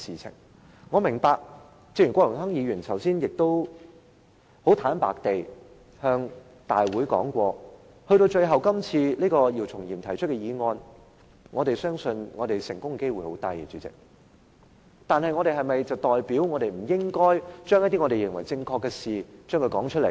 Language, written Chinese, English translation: Cantonese, 主席，正如郭榮鏗議員剛才很坦白說，我們相信姚松炎議員今次提出的議案成功的機會很低，但是否就代表我們不應該說出一些我們認為是正確的事情？, President as Mr Dennis KWOK frankly said earlier we believe that Dr YIU Chung - yims motion has a slim chance to get passed but does it mean that we should not say what we believe to be the right thing?